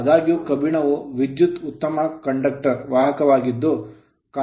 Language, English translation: Kannada, However, iron is also a good conductor of electricity